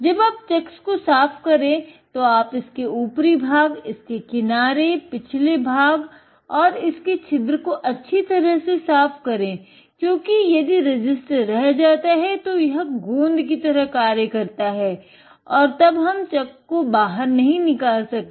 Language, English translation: Hindi, When cleaning the chucks, make sure that you take the top, the sides, of the back side and also the recess because if any resist gets in here it acts as glue and then we cannot get the chuck off